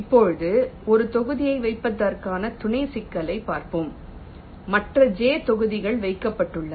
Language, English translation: Tamil, ok now, so we have looked at the sub problem for placing one block only, assuming the other j blocks are placed